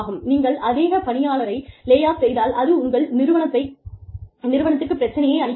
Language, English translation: Tamil, If you lay off, too many people, it could be a threat, to your organization